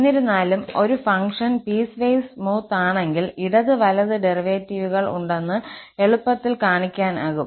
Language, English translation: Malayalam, However, if a function is piecewise smooth, it can be easily shown that left and right hand derivatives exist